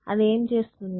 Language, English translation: Telugu, What are you doing